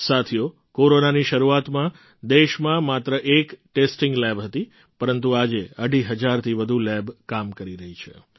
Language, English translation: Gujarati, Friends, at the beginning of Corona, there was only one testing lab in the country, but today more than two and a half thousand labs are in operation